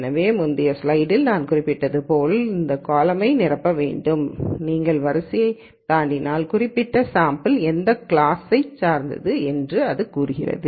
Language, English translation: Tamil, So, as I mentioned in the previous slide what we wanted was to fill this column and if you go across row then it says that particular sample belongs to which class